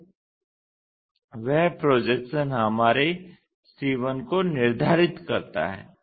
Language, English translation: Hindi, So, that projection determines our c 1